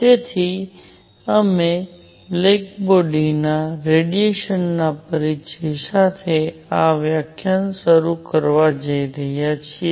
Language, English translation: Gujarati, So, we are going to start this lecture with introduction to black body radiation